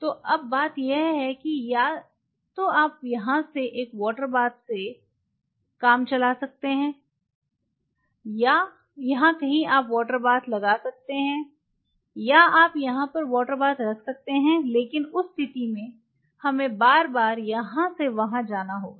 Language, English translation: Hindi, So, now, the thing is that either you can get away with one water bath out here, somewhere out here you can place a water bath or you can have a have a water bath here, but in that case, we will have to travel back and forth like this